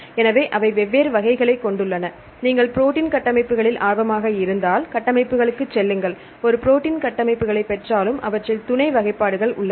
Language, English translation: Tamil, So, they have different categories and if you are interested in protein structures, you go to structures and even if get a protein structures right there are various sub classification